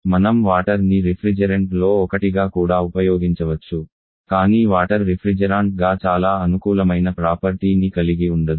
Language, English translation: Telugu, We can also use water as a as one of the different but water has not very favourable property as refrigerant